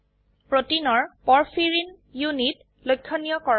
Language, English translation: Assamese, * Highlight the porphyrin units of the protein